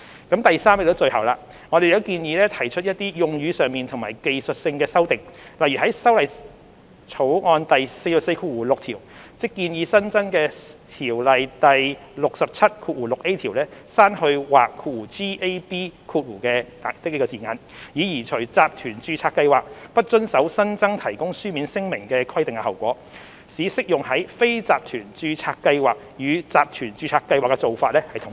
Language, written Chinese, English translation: Cantonese, 第三方面，即最後，我們亦建議提出一些用語上和技術性的修訂，例如在《條例草案》第446條，即建議新增的《條例》第67條，刪去"或"的字眼，以刪除集團註冊計劃不遵守有關提供書面聲明的新增規定的後果，使適用於非集團註冊計劃與集團註冊計劃的做法統一。, Thirdly and lastly we also propose some textual and technical amendments such as in clause 446 of the Bill ie . the proposed new section 676A of the Ordinance to delete or gab so as to remove the consequences for group registered schemes not complying with the newly added requirement on the submission of written statement thereby standardizing the practice with respect to non - group registered schemes with group registered schemes